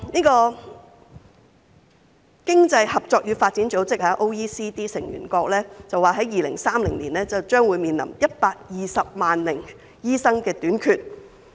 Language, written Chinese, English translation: Cantonese, 經濟合作與發展組織成員國表示 ，2030 年將會面臨短缺120萬名醫生的情況。, According to the member countries of the Organisation for Economic Co - operation and Development OECD they will be short of 1.2 million doctors by 2030